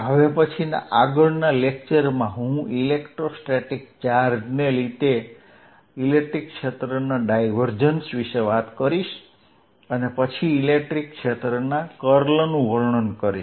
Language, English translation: Gujarati, In the next lecture I will talk about divergence of electric field due to electrostatic charges and then go on to describe the curl of the electric field